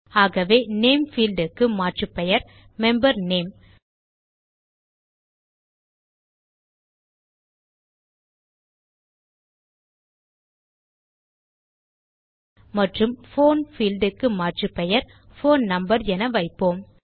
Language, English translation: Tamil, So the Name field can have an alias as Member Name and the Phone field can have an alias as Phone Number